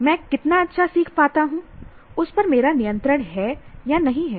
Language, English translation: Hindi, I have, do not have control over how well I learn